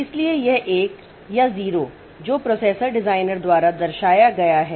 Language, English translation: Hindi, So, this 1 or 0, so that is depicted by the processor designer